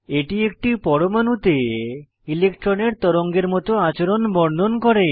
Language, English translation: Bengali, It describes the wave like behavior of an electron in an atom